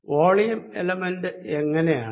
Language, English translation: Malayalam, how about the volume element